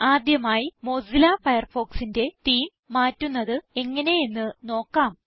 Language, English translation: Malayalam, Let us first learn how to change the Theme of Mozilla Firefox